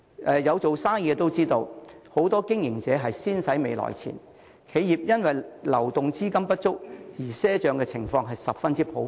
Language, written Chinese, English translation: Cantonese, 有做生意的都知道，很多經營者都是"先使未來錢"，企業因流動資金不足而賒帳的情況十分普遍。, People who have operated a business will know that many business operators will spend money ahead of their income . It is very common for enterprises to make purchases on credit because of insufficient liquid capital